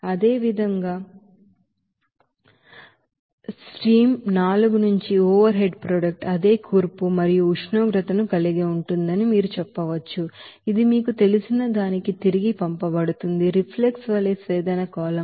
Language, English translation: Telugu, Similarly, you can say that the overhead product from that stream four that will have the same composition and temperature there what is sent back to the you know, distillation column as a reflux